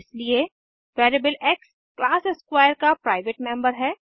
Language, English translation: Hindi, Hence variable x is a private member of class square